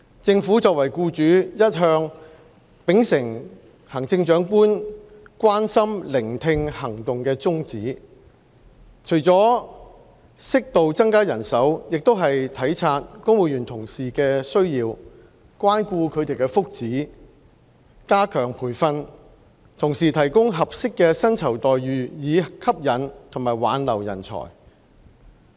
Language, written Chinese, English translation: Cantonese, 政府作為僱主，一向秉承行政長官"關心、聆聽、行動"的宗旨，除了適度增加人手，亦體察公務員同事的需要，關顧他們的福祉，加強培訓，同時提供合適的薪酬待遇以吸引和挽留人才。, As an employer the Government has always been committed to the goal of care listen and act put forth by the Chief Executive . Apart from increasing the size of manpower appropriately we are also mindful of the needs of fellow civil servants care for their well - being while at the same time stepping up the provision of training and offering suitable remuneration packages to attract and retain talents